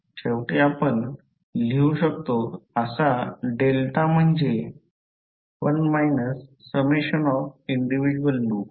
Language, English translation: Marathi, So, finally the delta is which you can write is 1 minus summation of the individual loop gains